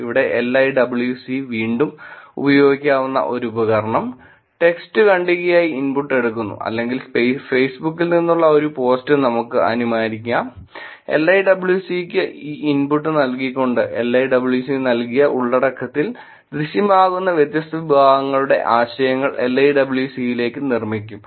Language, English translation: Malayalam, Here LIWC which is again, a tool, which could be used, takes input as text paragraph let us assume or a post from Facebook, given this input to LIWC, LIWC will produce different categories of concepts that are appearing in the content that was given to the LIWC